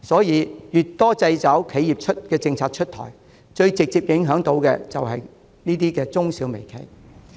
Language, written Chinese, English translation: Cantonese, 越多掣肘企業的政策出台，首當其衝的反而是中小微企。, In contrast the more policies that stifle enterprises are introduced the bigger the brunt micro small and medium companies would have to bear